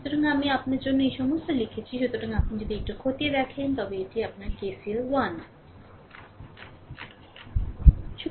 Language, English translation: Bengali, So, all these things I wrote for you; so, if you look into this if you look into this that your your KCL 1